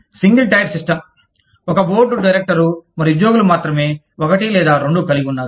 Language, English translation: Telugu, The single tier system, only one board of directors, and employees have, one or two